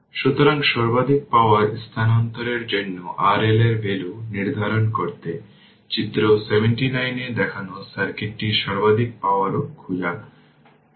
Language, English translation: Bengali, So, determine the value of R L for maximum power transfer, in the circuit shown in figure 79 also find the maximum power